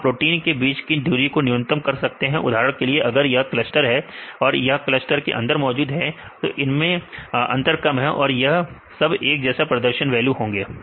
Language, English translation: Hindi, So, you can minimize the distance between the proteins for example, if this is the cluster right the proteins within this cluster, they have less difference right they have a similar perform values